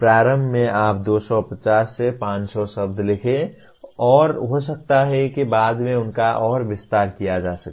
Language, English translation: Hindi, Initially you write 250 to 500 words and maybe later they can be further expanded